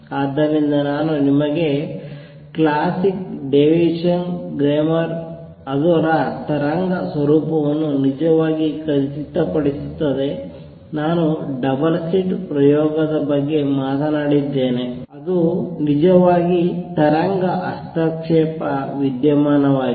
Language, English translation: Kannada, So, these are the experiments that actually confirm the wave nature I have given you the classic Davisson Germer experiment, I have talked about double slit experiment that is actually a wave interference phenomena